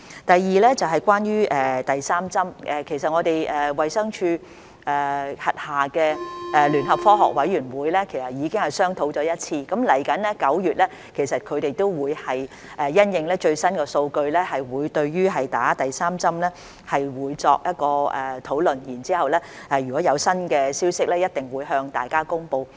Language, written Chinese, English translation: Cantonese, 第二，關於第三劑，其實我們衞生署轄下的聯合科學委員會已經商討了一次，接着9月也會因應最新的數據，就注射第三劑疫苗進行討論，之後如果有新消息，一定會向大家公布。, Secondly regarding the third dose of vaccine the Joint Scientific Committee under the Department of Health has already discussed this issue once and we will have another discussion in September about administering the third dose of vaccine taking into account the latest data . If there is any new information in the future we will definitely make an announcement to the public